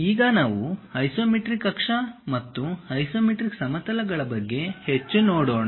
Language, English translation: Kannada, Now, we will look more about isometric axis and isometric planes